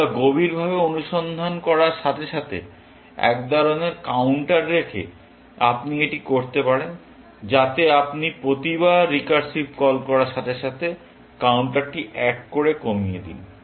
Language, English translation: Bengali, keeping some kind of a counter as you search deeper, so that, every time you make a recursive call, you also decrement the counter by 1